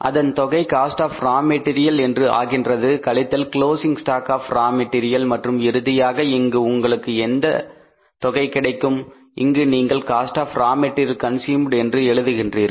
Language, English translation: Tamil, So total it up, these three things total up, less closing stock of raw material and finally you come out with the information that is called as cost of raw material consumed